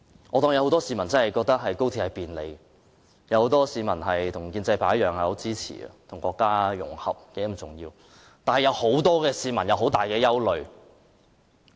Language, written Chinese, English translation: Cantonese, 我假設很多市民的確覺得高鐵可帶來很大便利，他們與建制派一樣，認為與國家融合十分重要，但亦有很多市民有很大憂慮。, I assume many people do agree that XRL will bring great convenience to their lives . They like the pro - establishment camp think that it is very important for Hong Kong to integrate with the country but many people also have great worries